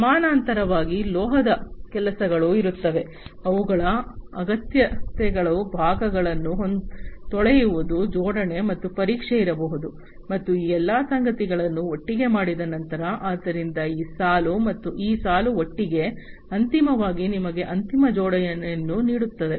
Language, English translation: Kannada, In parallel, there would be metal works, their needs to be parts washing, there needs to be assembly and test, and after all of these things together, so this row, as well as this row together, finally will give you the final assembly final assembly